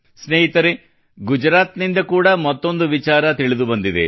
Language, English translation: Kannada, Friends, another piece of information has come in from Gujarat itself